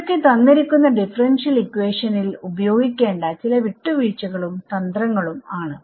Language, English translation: Malayalam, So, these are some of the compromises or tricks you can use given some differential equation